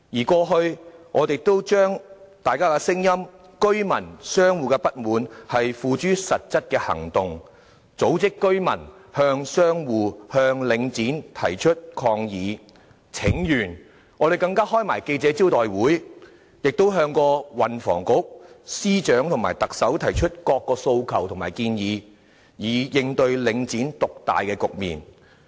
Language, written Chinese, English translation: Cantonese, 過去，我們也曾將大家的聲音、居民和商戶的不滿，付諸實質的行動，例如組織居民向商戶和領展提出抗議和請願，更召開記者招待會，亦向運輸及房屋局、司長和特首提出各項訴求和建議，以應對領展獨大的局面。, In the past we have put the peoples views and dissatisfaction of residents and shop operators into actions eg . organizing resident demonstrations and petitions against shops and Link REIT holding press conferences and making various requests and proposals to the Transport and Housing Bureau Secretaries of Departments and the Chief Executive in order to curb the market dominance of Link REIT . Nevertheless the listing of Link REIT has become a reality―milk that is already spilt